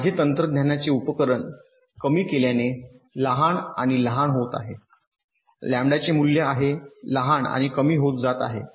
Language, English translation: Marathi, as my technology scales down, devices becomes smaller and smaller, the value of lambda is also getting smaller and smaller